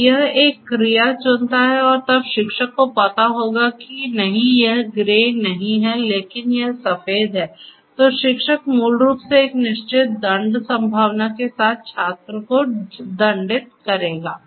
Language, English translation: Hindi, So, it chooses an action and the teacher basically will then teacher knows that no, it is not grey, but it is white then the teacher basically will penalize the student with a certain penalty probability, right